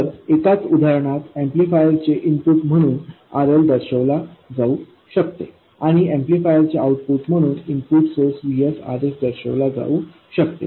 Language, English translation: Marathi, So, the same example holds the input of an amplifier could represent RL and the output of an amplifier could represent the input source Vs RS